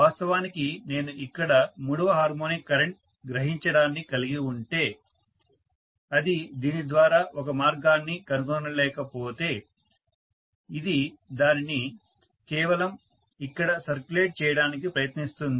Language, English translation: Telugu, So if I have a third harmonic current actually drawn here, if it is not able to find a path through this it will try to just circulate it here, so it is not killed